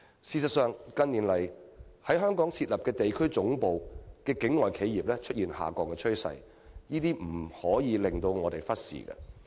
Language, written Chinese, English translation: Cantonese, 事實上，近年來港設立地區總部的境外企業出現下降趨勢，這情況實在不容我們忽視。, In fact the number of overseas corporations setting up regional headquarters in Hong Kong has been declining . It is a situation we cannot ignore